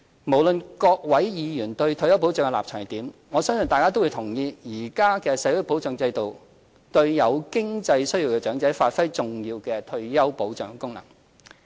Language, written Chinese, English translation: Cantonese, 無論各位議員對退休保障的立場為何，我相信大家都同意，現行社會保障制度對有經濟需要的長者發揮了重要的退休保障功能。, Regardless of Members position on retirement protection I trust everyone will agree that the current social security system has fulfilled its important function to offer retirement protection to needy elderly persons